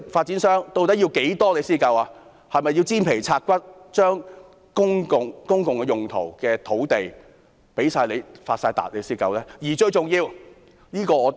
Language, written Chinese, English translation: Cantonese, 他們是否要"煎皮拆骨"，把公共用途的土地全部用來發達才滿足呢？, Is it that they will only be satisfied if all land lots for public purposes are thoroughly identified for profiteering by them?